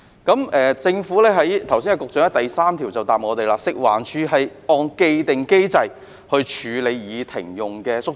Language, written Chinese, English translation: Cantonese, 剛才局長在主體答覆的第三部分表示，食環署是按既定機制處理已停用的街市宿舍。, As stated by the Secretary in part 3 of the main reply just now FEHD has handled disused market quarters in accordance with the established mechanism